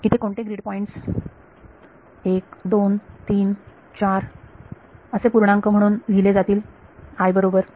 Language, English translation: Marathi, So, which the grid points are just numbered by integers 1, 2, 3, 4, i right